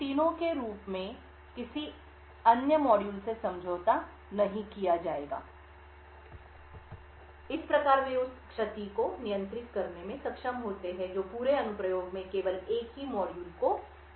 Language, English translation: Hindi, No other module such as these three would be compromised, thus they are able to contain the damage that is done to only a single module in the entire application